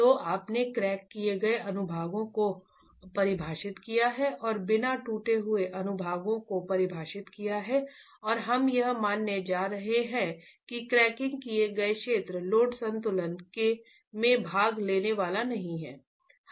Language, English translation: Hindi, So you've got cracked sections defined and the uncracked sections defined and we are going to be assuming that the cracked zone is not going to participate in the load equilibrium itself